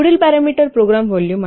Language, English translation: Marathi, Next parameter is program volume